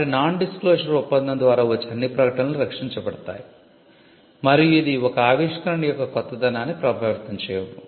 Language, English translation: Telugu, So, all disclosures that come through a non disclosure agreement are protected and it does not affect the novelty of an invention